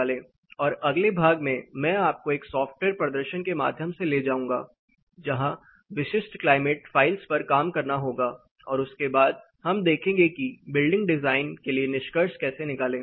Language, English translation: Hindi, And the next part I will be taking you through a software demonstration, where there will be a working on specific climate files, and then how to draw inferences for building design